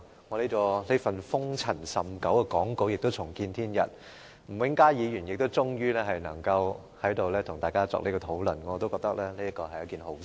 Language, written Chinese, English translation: Cantonese, 我這份塵封已久的發言稿亦重見天日，吳永嘉議員也終於能夠在這裏跟大家討論。我覺得這是一件好事。, Not only can this script of mine with dust gathered over it for a long time see the light of the day and Mr Jimmy NG is finally able to discuss the motion with Honourable Members here which is a good thing